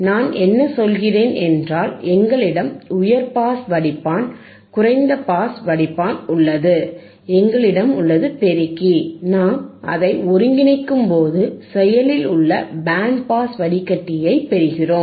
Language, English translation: Tamil, So,, I have a high pass filter stage, I have a low pass filter stage, and if I integrate high pass with low pass, if I integrate the high pass stage with low pass stage I will get a passive band pass filter, right